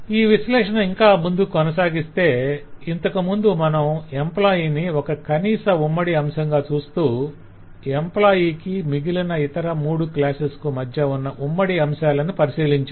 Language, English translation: Telugu, now if we analyze further and now earlier we were trying to see that employee was a common minimum so we are trying to see between employee and each of the other three classes